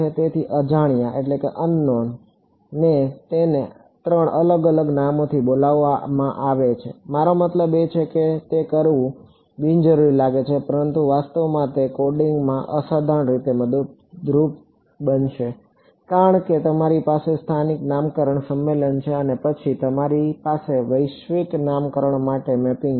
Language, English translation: Gujarati, So, the same unknown is being called by three different names it, I mean it may seem unnecessary to do it, but it actually is a phenomenally helpful in coding, because you have a local naming convention and then you have a mapping to global naming convention